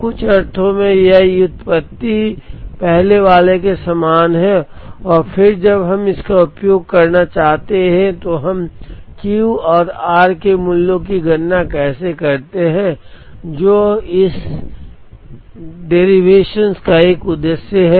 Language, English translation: Hindi, So, in some sense this derivation is very similar to the earlier one and then, when we want to use it how do we compute the values of Q and r; which is a purpose of this derivation